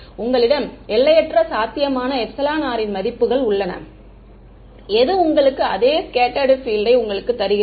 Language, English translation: Tamil, You have infinite possible values of epsilon r, which are giving you the same scattered field